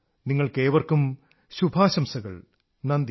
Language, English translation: Malayalam, Best wishes to all of you